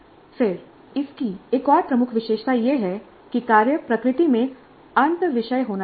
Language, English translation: Hindi, Then another key feature of this is that the work should be interdisciplinary in nature